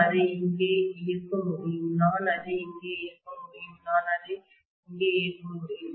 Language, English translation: Tamil, I can operate it here I can operate it here I can operate it here